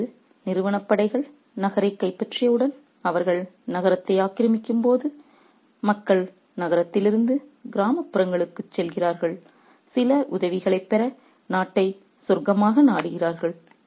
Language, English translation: Tamil, And now once the company forces are taking over the city, when they are invading the city, people move from the city to the countryside to get some help to seek the country as a haven